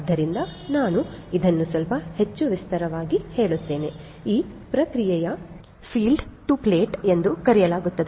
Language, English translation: Kannada, So, let me elaborate this little bit further so, the process is well known as field to plate right